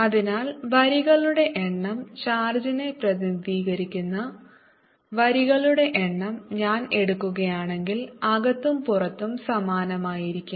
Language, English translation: Malayalam, so the number of lines, if i take number of lines representing the charge, remains the same outside and inside